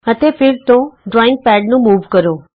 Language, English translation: Punjabi, And again move the drawing pad